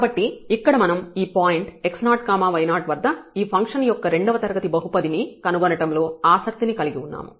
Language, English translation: Telugu, So, here we are interested in a quadratic polynomial of this function and about this point x 0 y 0